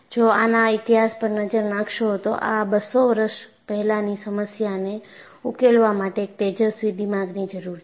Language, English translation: Gujarati, If you really look at the history, it took brilliant minds to solve this problem for 200 years